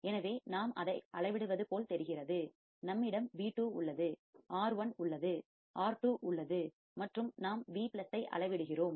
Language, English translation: Tamil, So, it looks like we are measuring we have V2, we have R1, we have R2, and we are measuring the Vplus correct